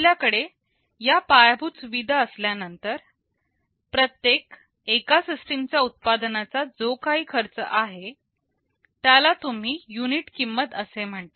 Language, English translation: Marathi, After we have that infrastructure, what is the cost of manufacturing every copy of the system, which you define as the unit cost